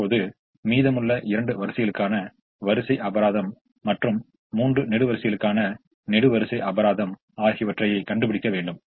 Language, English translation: Tamil, now we have to find out the row penalty for the remaining two rows and the column penalty for the three columns